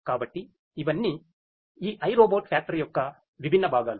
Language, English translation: Telugu, So, all of these are different components of this iRobot factory